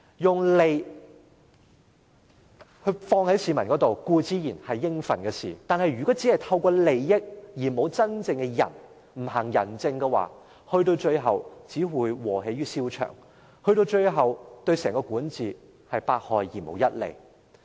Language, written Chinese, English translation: Cantonese, 將利益放予市民身上，固然是應該做的事，但如果只是透過利益而沒有真正的仁，不行仁政的話，最後只會"禍源於蕭牆"，最終對整個管治是百害而無一利。, Giving profits to the public is certainly what a government should do . But if it only gives favours without implementing any benevolent policies this will only lead to internal conflicts and will be utterly detrimental to the entire governance at the end . Let he untie the knot that he himself tied up